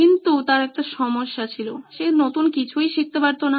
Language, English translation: Bengali, But he had one problem, he just couldn’t learn anything new